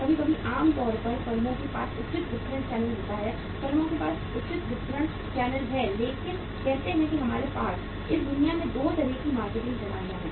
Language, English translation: Hindi, Sometimes, normally the firms have the proper distribution channels right; firms have proper distribution channels but say we have 2 kind of the marketing systems in this world